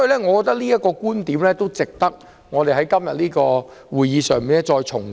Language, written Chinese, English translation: Cantonese, 我認為這觀點值得在今天的會議上重提。, I think it is worth repeating this view at todays meeting